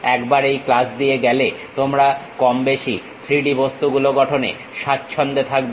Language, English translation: Bengali, Once you go through this class you will be more or less comfortable in constructing 3D objects